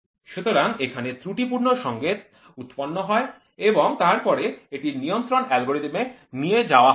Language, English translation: Bengali, So, here there is error signal which is error signal which is generated and then, this is taken to the control algorithm